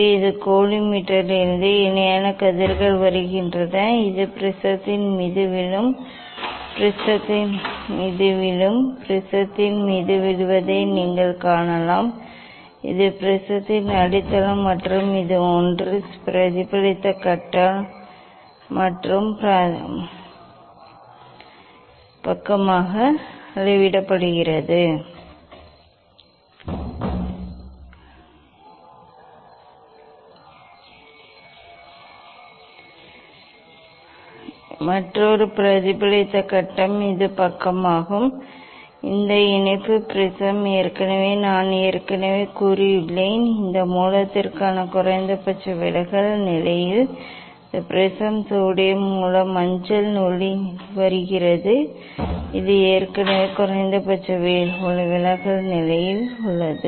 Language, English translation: Tamil, here this from coli meters parallel rays are coming and this falling on the prism falling on the prism you can see that this the base of the prism and this one is the reflected phase and another reflected phase is this side and this is the affix of the prism all already I have said already I have said this prism at the minimum deviation position for this source sodium source yellow light is coming this is already at the minimum deviation position